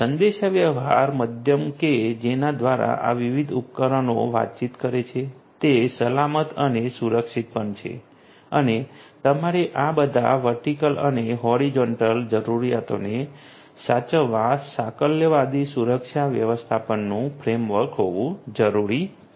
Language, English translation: Gujarati, The communication medium through which these different devices communicate that is also protected and secured and you need to have a holistic security management framework cutting across all these verticals and horizontals